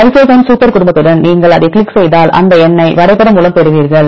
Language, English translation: Tamil, With the lysozyme super family if you click on that then you will get this number this diagram